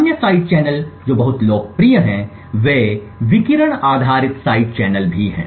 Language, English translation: Hindi, Other side channels which are very popular are radiation based side channels as well as execution time